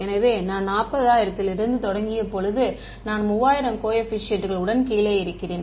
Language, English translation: Tamil, So, when I started from 40000, I am down to 3000 coefficients